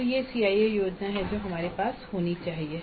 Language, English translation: Hindi, So this is the CAE plan that we must have